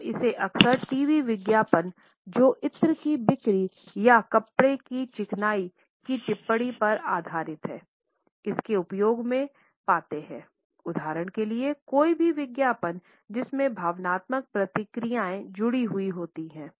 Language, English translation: Hindi, We find it often used in TV advertisements which are based on the sales of perfumes or comments on the smoothness of fabric for example or any advertisement which has emotional reactions associated with it